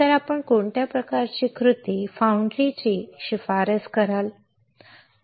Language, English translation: Marathi, So, what kind of recipe you will recommend foundry